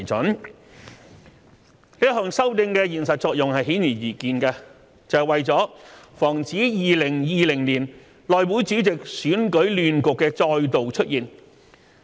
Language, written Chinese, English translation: Cantonese, 這一項修訂的現實作用是顯而易見的，是為了防止2020年內會主席選舉亂局的再度出現。, Obviously the practical function of this amendment is to prevent the recurrence of the chaotic scenario with respect to the election of the House Committee Chairman